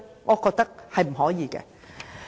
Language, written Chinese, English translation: Cantonese, 我覺得不可以。, I think it should not